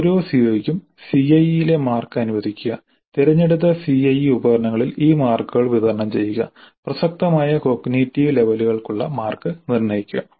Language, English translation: Malayalam, Then for each CO, allocate marks for CIE, distribute these marks over the selected CIE instruments and determine the marks for relevant cognitive levels